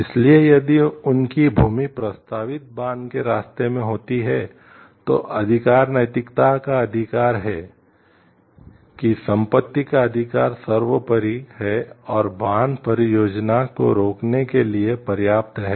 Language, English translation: Hindi, So, if their land happens to be in the way of a proposed dam, then rights ethics would hold let the paramount right is the property right is paramount and is sufficient to stop the dam project